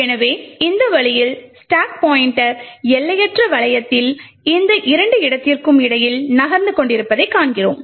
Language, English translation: Tamil, So, in this way we see that the stack pointer continuously keeps moving between these two locations in an infinite loop